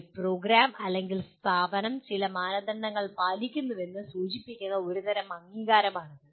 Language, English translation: Malayalam, It is a kind of recognition which indicates that a program or institution fulfils certain standards